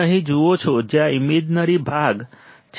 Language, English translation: Gujarati, You see here where the imaginary part is is